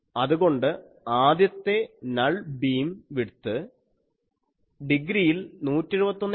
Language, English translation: Malayalam, So, first null beam width in degrees it will be 171